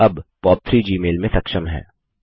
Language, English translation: Hindi, POP3 is now enabled in Gmail